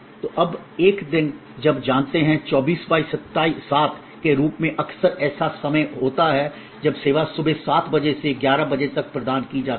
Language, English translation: Hindi, So, now, a days you know you here this more often as 24 7 there was a time when service when provided from 7 AM to 11 PM was consider exceptional